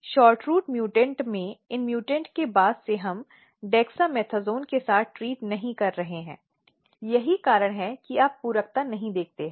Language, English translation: Hindi, So, in shortroot mutant since this mutant we are not treating with dexamethasone that is why you do not see the complementation